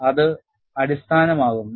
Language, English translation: Malayalam, That forms a basis